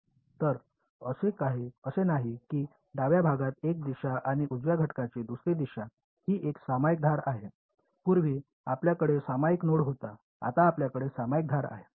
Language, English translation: Marathi, So, it's not that there is one direction on the left element and another direction on the right element its a shared edge, earlier you had a shared node now you have a shared edge